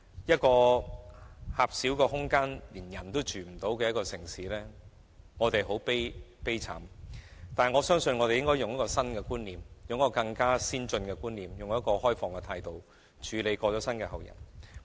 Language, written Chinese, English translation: Cantonese, 這個狹小得連人亦容不下的城市，我們真的很悲慘，但我相信只要引入新的或更先進的觀念，並抱持開放的態度，便可以處理龕位的問題。, In this tiny city in which even the living cannot be tolerated we are indeed very miserable but I believe that by introducing new or more advanced concepts and by adopting an open attitude problems relating to niches can be resolved